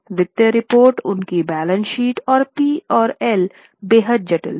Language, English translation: Hindi, The financial reports, their balance sheet and P&L were extremely complicated